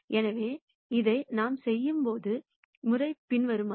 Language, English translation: Tamil, So, the way we are going to do this, is the following